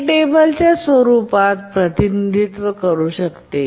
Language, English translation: Marathi, So we can represent that in the form of a table